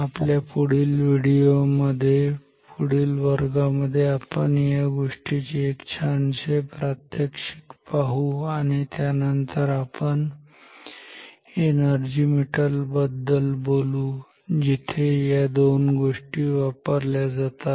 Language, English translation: Marathi, In our next video in our next class we will see some nice demonstration of this fact and then we will talk about the energy meter where these two phenomena’s are used ok